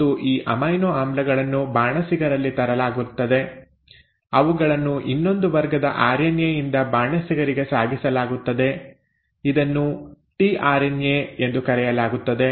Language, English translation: Kannada, And these amino acids are brought to the chef; they are ferried to the chef by another class of RNA which is called as the tRNA